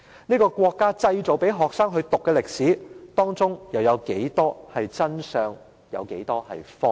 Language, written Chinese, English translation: Cantonese, 這個國家製造出來讓學生修讀的歷史，當中有多少真相、多少謊言？, How many truths and lies are there in the history created by this country for students to learn?